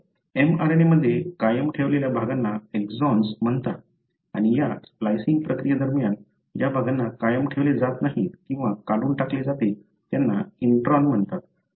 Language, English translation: Marathi, So, the regions that are retained in the mRNA are called the exons and the regions that are not retained, or removed during this splicing process are called as introns